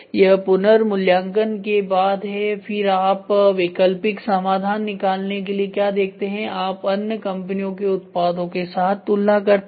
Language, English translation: Hindi, This is after revaluation then what do you look for alternative solutions right then comparison with other company products